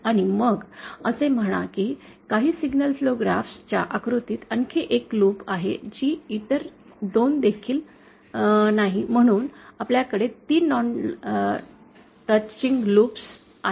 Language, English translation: Marathi, And then say there is another loop in some signal flow graphs diagram which also does not the other 2, so we have 3 non touching loops